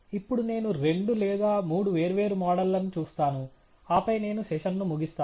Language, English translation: Telugu, Now, let me go through two or three different models and then will conclude the session